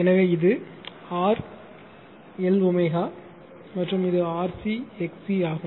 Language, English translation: Tamil, So, it is R L L omega and it is RC R C your XC X C right